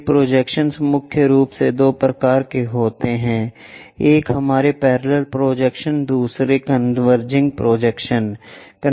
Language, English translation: Hindi, This projections are mainly two types, one our parallel projections other one is converging projections